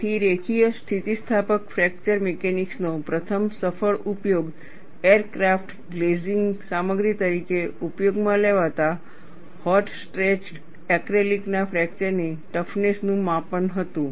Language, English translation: Gujarati, So, the first successful application of linear elastic fracture mechanics was to the measurement of fracture toughness of hot stretched acrylic, used as an aircraft glazing material